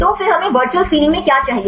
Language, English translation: Hindi, So, then what do we need in the virtual screening